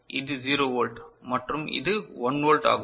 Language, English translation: Tamil, So, this is 0 volt and this is 1 volt